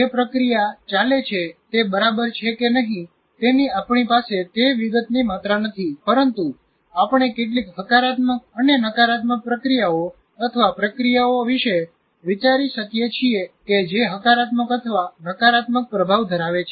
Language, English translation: Gujarati, We do not have that amount of detail, but we can think of some positive and negative processes that are processes that have either positive or negative influences